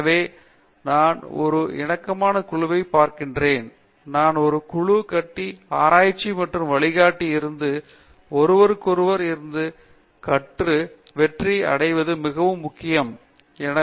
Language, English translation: Tamil, So, I see a harmonious group therefore, I would say that building a group is very important to help succeed in research and learning from each other rather than, just from the guide